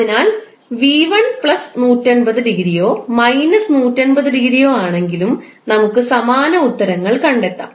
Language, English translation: Malayalam, So, whether it was plus 180 degree or minus 180 degree in case of v1, we found the same answers